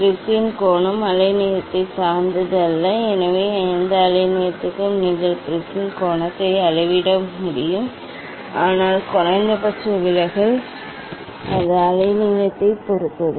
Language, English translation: Tamil, Angle of the prism does not depend on the wavelength ok, so for any wavelength you can measure the angle of prism and, but minimum deviation it depends on the wavelength